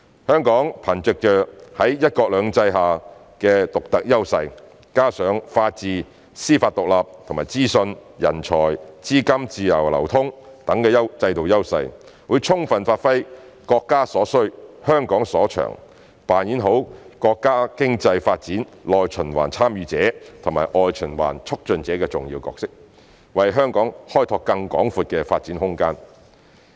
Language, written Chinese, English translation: Cantonese, 香港憑藉在"一國兩制"下的獨特優勢，加上法治、司法獨立及資訊、人才和資金自由流通等制度優勢，會充分發揮"國家所需，香港所長"，扮演好國家經濟發展內循環"參與者"及外循環"促進者"的重要角色，為香港開拓更廣闊的發展空間。, With its unique advantages under one country two systems and other institutional strengths including the rule of law an independent judiciary and the free flow of information people and capital Hong Kong will give a full play to what the country needs what Hong Kong is good at and play well the important role of participant in domestic circulation and facilitator in international circulation for the countrys economic development so as to expand Hong Kongs scope for further development